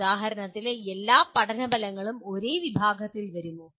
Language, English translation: Malayalam, For example will all learning outcomes come under the same category